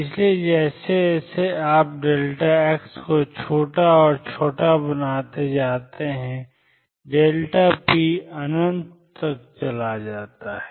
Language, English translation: Hindi, So, as you make delta x smaller and smaller delta p goes to infinity